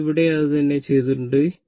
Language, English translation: Malayalam, So, that is what I have written here